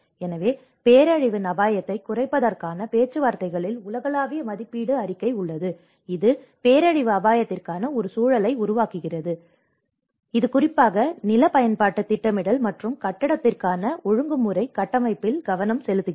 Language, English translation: Tamil, So, there is global assessment report on disaster risk reduction talks about creating an enabling environment for disaster risk and this especially focus on the regulatory frameworks for land use planning and building